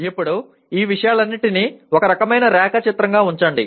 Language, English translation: Telugu, Now let us put down all these things together into a kind of a diagram